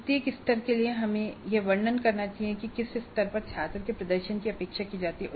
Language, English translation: Hindi, Then for each level we should describe under what conditions the student's performance is expected to be at that level